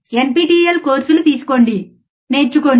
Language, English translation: Telugu, Take the nptelNPTEL courses, learn, right